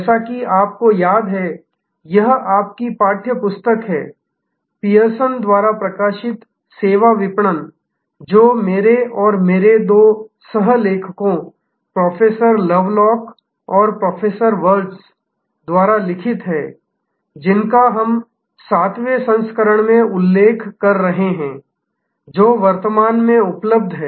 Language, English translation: Hindi, As you remember, this is your text book, Services Marketing published by Pearson, written by me and two of my co authors, Professor Lovelock and Professor Wirtz we have been referring to the 7th edition, which is currently available